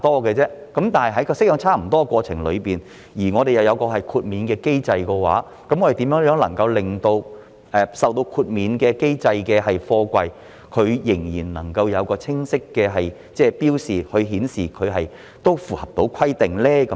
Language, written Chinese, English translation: Cantonese, 然而，在檢查過程中又設有豁免機制的話，如何令到受該機制豁免的貨櫃仍然能夠有清晰的標示，以顯示它符合規定呢？, However if an exemption mechanism is in place during the inspection how can we ensure that a container exempted under the mechanism still has clear markings to show its compliance?